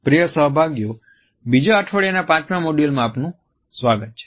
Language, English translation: Gujarati, Dear participants, welcome to the 5th module of the second week